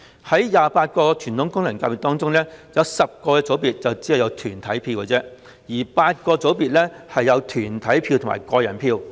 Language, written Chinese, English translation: Cantonese, 在28個傳統功能界別中 ，10 個組別只有團體票 ，8 個組別則有團體票和個人票。, Amongst the 28 traditional FCs 10 of them only have corporate votes while eight of them have both corporate votes and individual votes